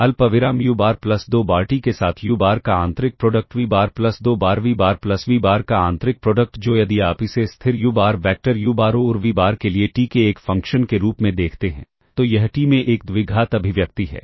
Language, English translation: Hindi, And therefore, this is equal to inner product of u bar comma u bar plus twice t the inner product of u bar with v bar plus t square times inner product of v bar plus v bar which if you view this as a function of t if for fixed u bar vectors u bar and v bar that is if you view this as a function of t then this is a quadratic expression in t ok